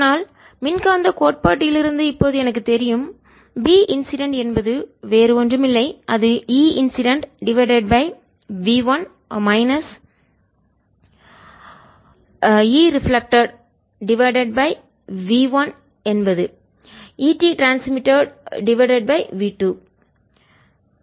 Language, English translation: Tamil, but now i know from electromagnetic theory that b incident is nothing but e incident divided by v one in that medium minus b reflected is nothing but e reflected over v one in that medium